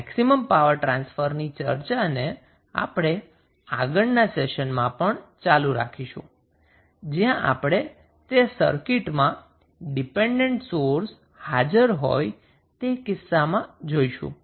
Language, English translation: Gujarati, We will continue our discussion on maximum power transfer theorem in next class also, where we will discuss that in case the dependent sources available in the circuit